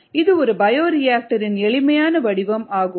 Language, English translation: Tamil, of course it's a simpler form of a bioreactor